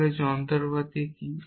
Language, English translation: Bengali, So, what is this machinery